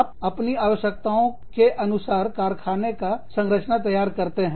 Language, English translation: Hindi, You design your factory, according to your needs